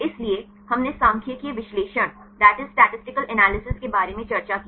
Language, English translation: Hindi, So, we discussed about statistical analysis